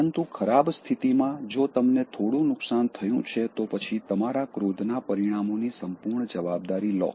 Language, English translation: Gujarati, But, in worst situation, if you have caused some damage then take full responsibility for the consequences of your anger